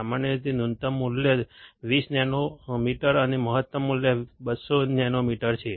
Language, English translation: Gujarati, Typically, the minimum value is 20 nanometer and the maximum value is 200 nanometer